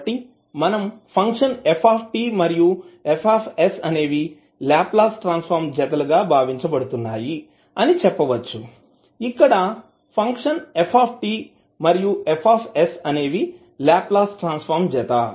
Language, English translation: Telugu, So, what we can say the function ft and fs are regarded as the Laplace transform pair where ft and fs are the Laplace transform pairs